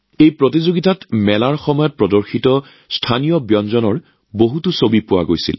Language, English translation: Assamese, In this competition, there were many pictures of local dishes visible during the fairs